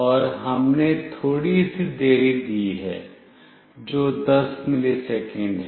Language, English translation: Hindi, And we have given a small delay that is 10 milliseconds